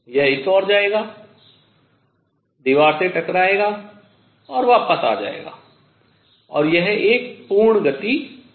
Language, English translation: Hindi, It will go this way, hit the wall and come back and that will be one complete motion